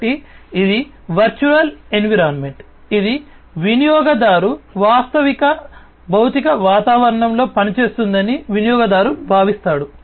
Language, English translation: Telugu, So, its a virtual environment that is immolated, but the user feels that, the user is acting in the actual physical environment